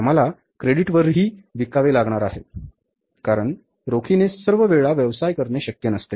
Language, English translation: Marathi, We have to sell on the credit also because it's not possible to do the business all the times on cash